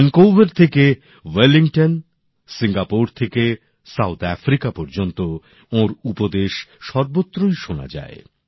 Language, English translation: Bengali, From Vancouver to Wellington, from Singapore to South Africa his messages are heard all around